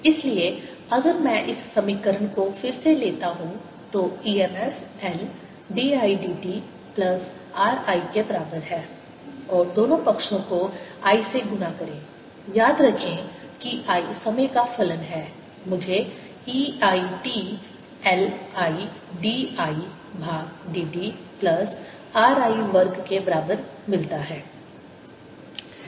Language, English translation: Hindi, so if i take this equation again, e m f is equal to l d i, d t plus r i and multiply both sides by i remember i is a function of time i get e i t is equal to l i, d, i over d t plus r i square